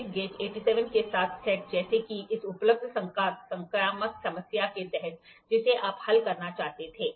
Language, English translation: Hindi, A slip gauge set with 87 has under this available numerical problem, which you wanted to solve